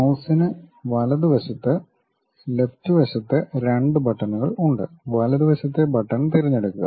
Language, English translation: Malayalam, So, for mouse right side, left side 2 buttons are there and pick right side button